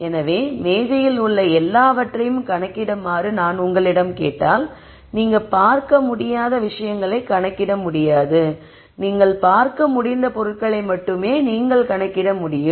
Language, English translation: Tamil, So, if I ask you to enumerate everything that is there on the table you can only enumerate what you can see the things that you cannot see you cannot enumerate